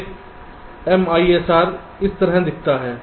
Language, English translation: Hindi, an m i s r looks like this